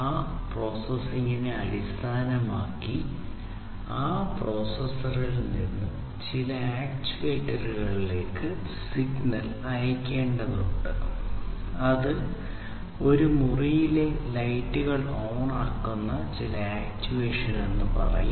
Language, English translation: Malayalam, And, based on that processing again that signal has to be sent from that processor to some remote actuator, which will do some actuation and that actuation could be turning on the lights of a room